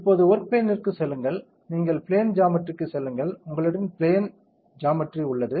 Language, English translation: Tamil, Now, go to the work plane, you go to the plane geometry, you have the plane geometry go to geometry now you are in geometry